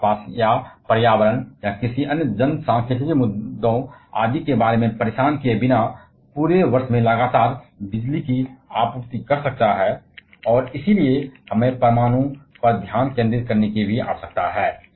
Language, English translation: Hindi, It can supply a continuous amount of electricity throughout the year without being bothered about the surrounding or environment or any other demographic issues etc